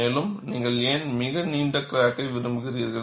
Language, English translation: Tamil, And, why do you want to have a very long crack